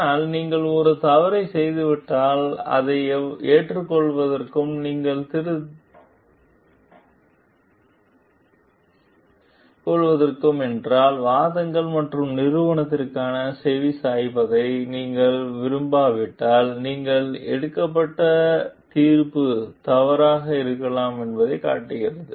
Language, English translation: Tamil, But when you have done a mistake and but you are not open to accept it, if you are not open to like take care heed for the arguments and proof shows that maybe the judgment that you were taken has been mistaken